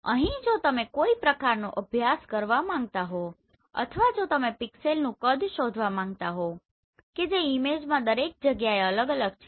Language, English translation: Gujarati, So here if you want to do some kind of study or if you want to find out the pixel size they are different across this image right